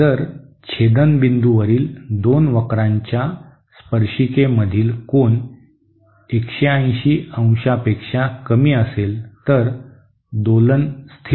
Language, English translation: Marathi, If the angle between the tangents of the two curves at the point of intersection is less than 180 degree, then the oscillation is stable